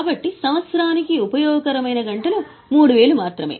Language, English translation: Telugu, So, useful hours or useful hours are only 5,000